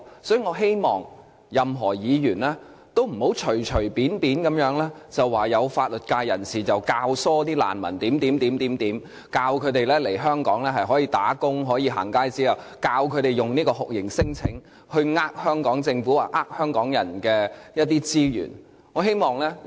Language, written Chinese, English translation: Cantonese, 所以，我希望任何議員都不要隨意地說有法律界人士教唆難民來港，說來港可以工作及取得"行街紙"，並教導他們利用酷刑聲請欺騙香港政府及香港人的資源。, Hence I hope that no Member would casually say that legal practitioners encourage refugees to come to Hong Kong and advise them to obtain a going - out pass to work here or teach them to take advantage of the torture claims to deceive the Hong Kong Government and cheat the resources of the Hong Kong people